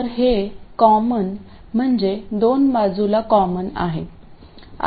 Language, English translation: Marathi, So this common means that it is common to the two sides